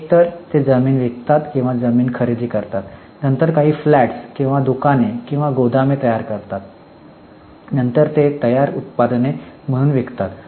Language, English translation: Marathi, So, they buy land, either they sell land or they buy land, then they construct some flats or shops or go downs, then they sell it as finished products